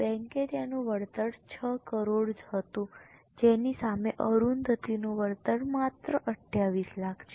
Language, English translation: Gujarati, Her compensation was 6 crores versus compensation for Arundatiji is only 28 lakhs